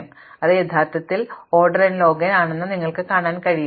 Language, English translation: Malayalam, Then, you can show that this is actually order n log n